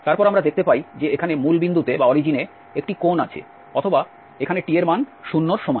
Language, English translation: Bengali, Then we see that, there is a corner here at the origin or when the t is equal to 0